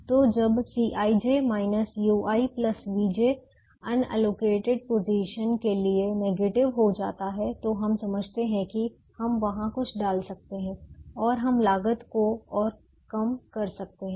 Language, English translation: Hindi, so when c i, j minus u i plus v j becomes negative for the unallocated position, we understand that we can put something there and we can reduce the cost further